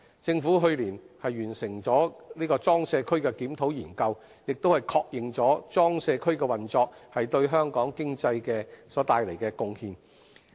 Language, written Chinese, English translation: Cantonese, 政府去年完成的裝卸區檢討研究，亦確認裝卸區運作對香港經濟所帶來的貢獻。, The review study completed by the Government last year on PCWAs has also acknowledged the contribution of PCWAs operation to the economy of Hong Kong